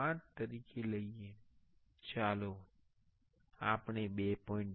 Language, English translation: Gujarati, 5 let us say 2